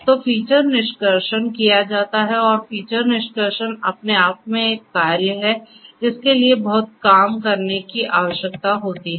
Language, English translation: Hindi, So, the feature extractions are performed and feature extraction itself is a task that requires lot of work